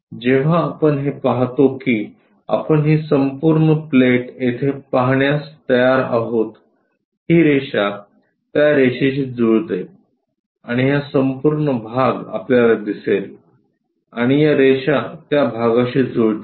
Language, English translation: Marathi, When we are visualizing that we will be in a position to see this entire plate here this line maps onto that line and this entire portion we will see and these lines maps onto that